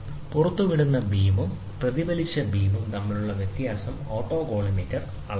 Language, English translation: Malayalam, The autocollimator measure the deviation between the emitted beam and the reflected beam